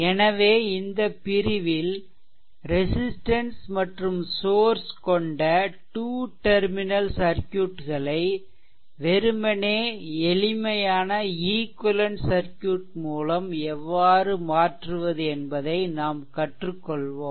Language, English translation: Tamil, So, in this section, we will learn how to replace two terminal circuit containing resistances and sources by simply equivalent circuit that you have learned